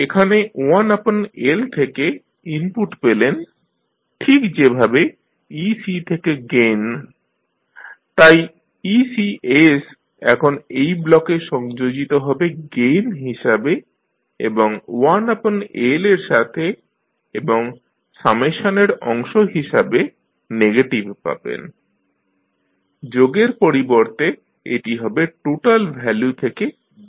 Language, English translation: Bengali, So, in this you get input from 1 by L as a gain from ec, so ecs will be now connected to this block with 1 by L as a gain and here you get negative as a part of summation, so instead of sum it will be subtracted from the total value